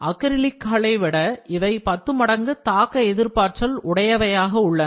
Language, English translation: Tamil, Polycarbonate plastic are as much as 10 times more impact resistant than certain acrylics